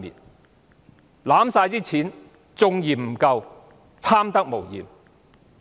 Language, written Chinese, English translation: Cantonese, 他們手握全部儲備還嫌未夠，貪得無厭。, They have all reserves in their hands but they still want more . How greedy they are!